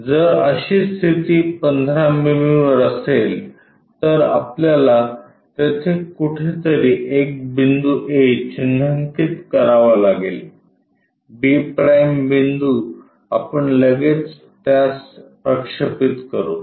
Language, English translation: Marathi, If that is the case at 15 mm we have to mark a point somewhere there a; b’ the point we will straight away project it